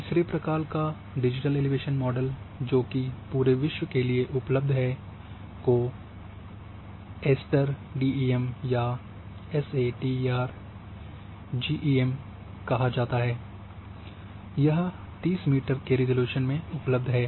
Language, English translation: Hindi, Now the third a type digital elevation models which are available now and for the entire globe is called ASTER DEM or ASTER GDEM, it is available at 30 meter resolution